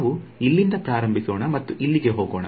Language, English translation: Kannada, So, let us start from here and go all the way up to here